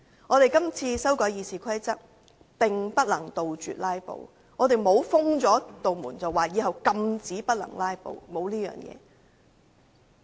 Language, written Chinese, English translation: Cantonese, 我們這次修改《議事規則》並不能杜絕"拉布"，更沒有明確規定以後禁止"拉布"。, Our current amendments to RoP will not put an end to filibustering . We have not even proposed any specific provisions to ban filibustering in future